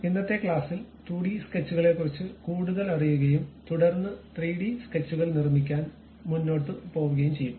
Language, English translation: Malayalam, In today's class, we will learn more about 2D sketches and then go ahead construct 3D sketches